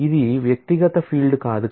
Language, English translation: Telugu, It is not an individual field